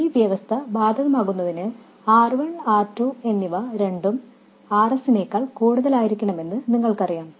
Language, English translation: Malayalam, And for this condition to be satisfied, you know that both R1 and R2 have to be much more than RS